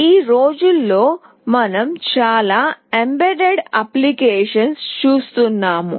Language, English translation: Telugu, Nowadays we see lot of embedded applications